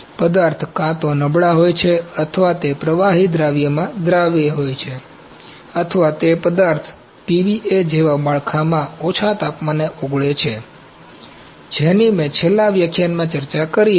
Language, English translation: Gujarati, These materials are either weaker or they are soluble in liquid solution or they melt at a lower temperature in the build like the material, PVA which I discussed in the last lecture